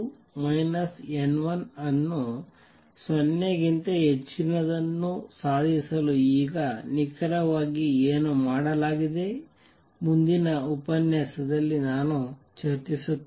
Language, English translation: Kannada, Now what exactly is done to achieve this n 2 minus n 1 greater than 0, I will discuss in the next lecture